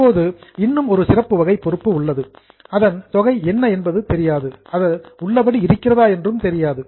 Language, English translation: Tamil, Now, there is one more special type of liability where neither we know the amount nor we know the existence of asset